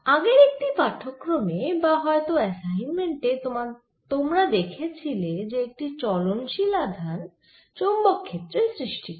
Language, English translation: Bengali, in one of the previous lectures or assignments you seen that a moving charge create a magnetic field around it